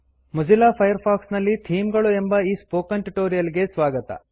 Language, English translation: Kannada, Welcome to this spoken tutorial on Themes in Mozilla Firefox